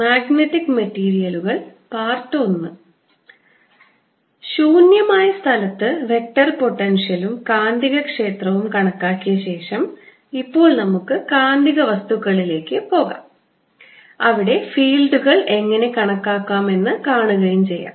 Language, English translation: Malayalam, having calculated ah vector potential and magnetic field in free space, we now want to move on to magnetic materials and see how to calculate fields there